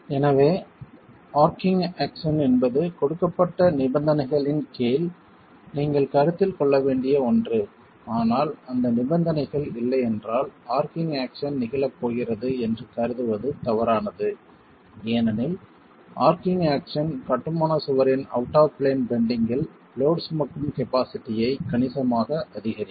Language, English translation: Tamil, So, arching action is something that you can consider under a given set of conditions but if those conditions do not exist it will be erroneous to assume that arching action is going to occur because arching action can significantly increase the load carrying capacity of a masonry wall in in out of plane bending